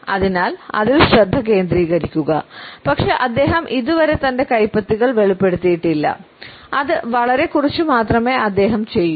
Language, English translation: Malayalam, So, focus on that, but not he has not yet revealed his palms and he will do very little of that